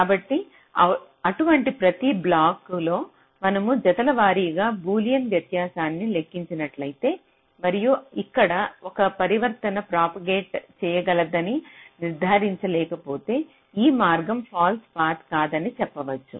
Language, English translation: Telugu, so across every such blocks, pair wise, if you compute the boolean difference and if you cannot establish that a transition here can propagate, here you can say that this path is not false